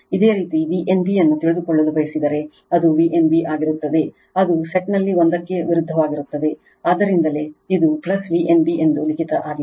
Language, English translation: Kannada, If you want to know V n b, it will be your V n b that is opposite one in the set right, so that is why it is a written plus V n b